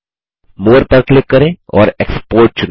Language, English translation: Hindi, Click More and select Export